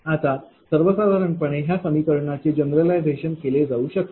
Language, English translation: Marathi, Now, in general this equation can be general I